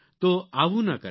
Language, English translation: Gujarati, So, avoid doing that